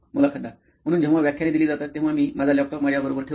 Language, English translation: Marathi, So when lectures, I do carry my laptop with me